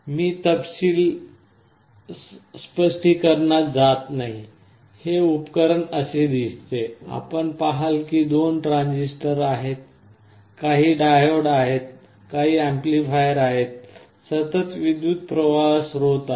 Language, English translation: Marathi, Internally I am not going into the detail explanation, this device looks like this, you see there are two transistors, some diodes, there are some amplifiers, there is a constant current source